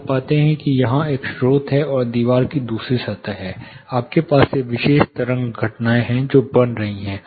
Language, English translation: Hindi, You find that there is a source here, and there is the wall the other wall surface, you have these particular wave phenomena which are forming